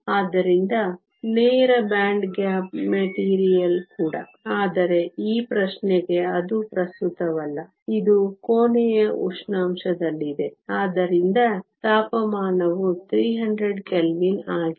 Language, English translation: Kannada, So, also a direct band gap material, but that is not relevant for this question, it is at room temperature, so temperature is 300 Kelvin